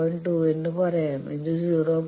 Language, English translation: Malayalam, So, let us say 0